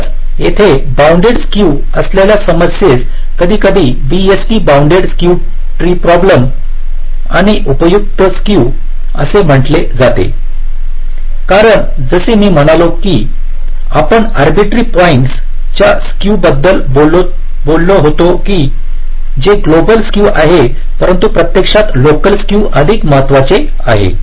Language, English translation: Marathi, fine, so here the problem with bounded skew is sometimes referred to as bst bounded skew, tree problem, and useful skew means, as i had said, that although we talked about skew across arbitrary points, it is the global skew, but in practice, local skews is more important